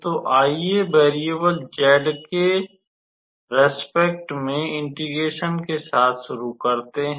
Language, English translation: Hindi, So, let us start with integrating with respect to variable z